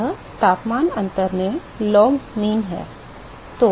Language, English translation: Hindi, This is the log mean in temperature difference